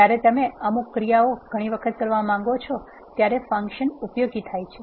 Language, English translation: Gujarati, Functions are useful when you want to perform certain tasks many number of times